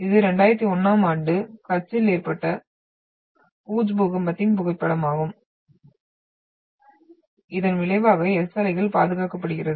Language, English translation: Tamil, And this is the photograph of 2001 Bhuj earthquake in Kutch which is resulted in to the preservation of the S wave